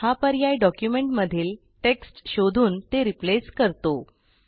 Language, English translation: Marathi, It searches for text and/or replaces text in the entire document